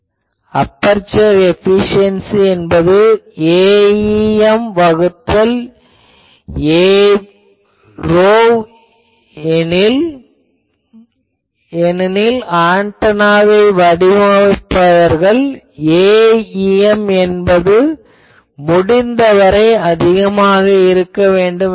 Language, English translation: Tamil, Aperture efficiency is A em by A p because any antenna designers wishes I want to make A em as large as possible